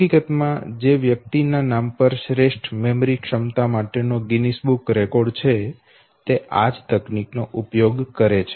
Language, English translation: Gujarati, In fact the person who holds the Guinness book of records for the best memory ability okay